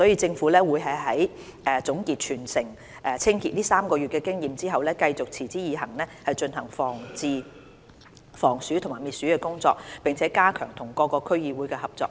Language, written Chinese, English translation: Cantonese, 政府會在總結全城清潔這3個月的經驗後，繼續持之以恆進行防鼠及滅鼠工作，並加強與各區區議會的合作。, The Government will consolidate the experience it has gained from this three - month territory - wide cleaning campaign continue with its ongoing rodent prevention and control work and strengthen its collaboration with various DCs